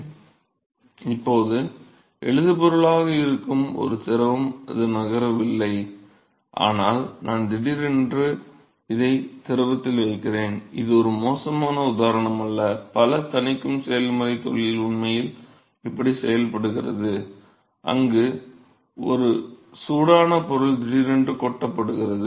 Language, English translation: Tamil, So, there is a fluid which is now stationery it is not moving, but I am suddenly putting this into the fluid now this is not a bad example, lot of quenching process industry actually done this way, where a hot material is suddenly dump into water